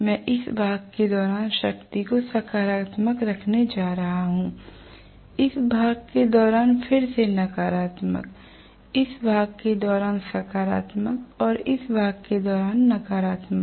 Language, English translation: Hindi, I am going to have the power positive during this portion, again negative during this portion, positive during this portion and negative during this portion